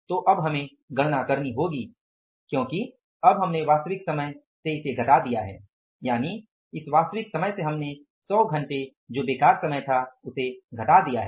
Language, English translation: Hindi, So now we will have to calculate because now you have subtracted this actual time, means from the actual we have subtracted the idle time of the 100 hours